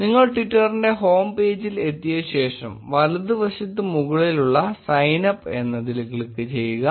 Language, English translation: Malayalam, After you land up on the twitter's home page, on the top right click on sign up